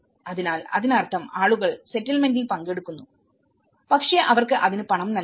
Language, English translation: Malayalam, So, which means the population does participate in the settlement but they are paid for it